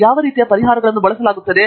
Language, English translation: Kannada, What kinds of solvers are being used